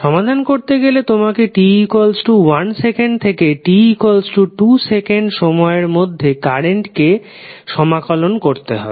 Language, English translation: Bengali, You have to just simply integrate the current value between time t=1 to t=2